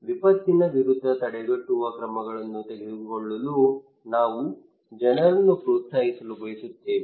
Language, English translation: Kannada, We want to encourage people to take preventive action against disaster